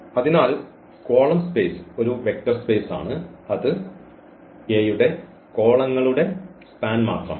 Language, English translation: Malayalam, So, column space is a vector space that is nothing but the span of the columns of A